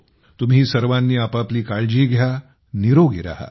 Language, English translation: Marathi, You all take care of yourself, stay healthy